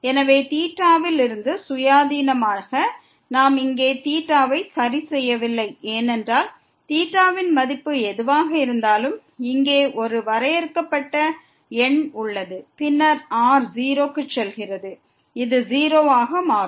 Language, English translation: Tamil, So, independent of theta, we are not fixing theta here because whatever the value of theta is we have a finite number here and then, goes to 0 then this will become 0